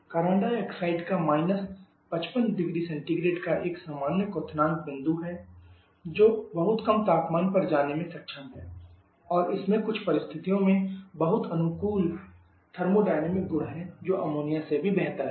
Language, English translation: Hindi, Carbon dioxide as a normal boiling point of 55 degree Celsius so capable of going to very low temperature and it is very favourable thermodynamic properties under certain situations even better than Ammonia are much better than Ammonia